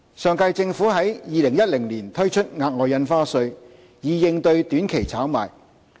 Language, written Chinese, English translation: Cantonese, 上屆政府在2010年推出額外印花稅，以應對短期炒賣。, The previous - term Government introduced the Special Stamp Duty SSD to tackle short - term speculation in 2010